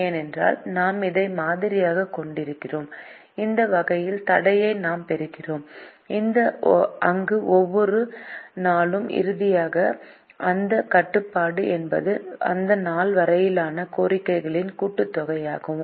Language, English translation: Tamil, because we are modeling this, we get the constraint of this type where for each day, finally, the constraint is the sum of the demands of upto that day